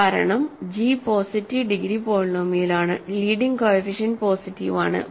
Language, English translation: Malayalam, So, it has positive degree, positive leading coefficient